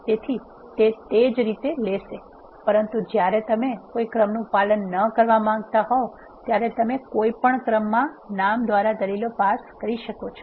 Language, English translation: Gujarati, So, it will take in the same way, but when you want not to follow any order you can pass the arguments by the names in any order